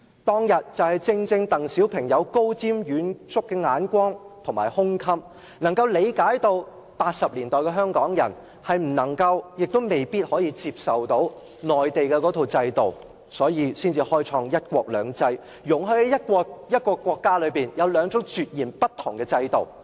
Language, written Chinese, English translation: Cantonese, 當天正正因為鄧小平具備高瞻遠矚的眼光和胸襟，理解1980年代的香港人未必可以接受到內地那套制度，才會開創"一國兩制"，容許在一個國家內有兩種截然不同的制度。, With his outstanding percipience and broad - mindedness DENG Xiaoping at that time understood that the Hong Kong people in the 1980s might not accept the systems adopted in the Mainland and hence he introduced one country two systems to allow two distinct systems to coexist in one single country